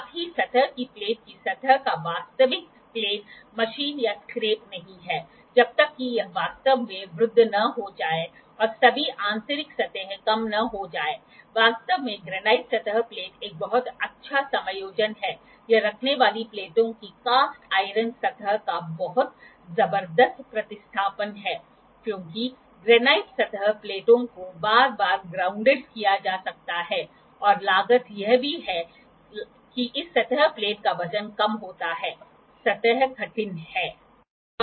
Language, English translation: Hindi, Also the true plane of the surface of the surface plate is not machine or scrap until it has really aged and all the internal surfaces have subsided; actually the granite surface plate is a very good adjustments, it is very tremendous replacement of the cast iron surface of the placing plates, because granite surface plates can be grounded again and again and also the cost is that less weight is lesser this surface plate, the surface is hard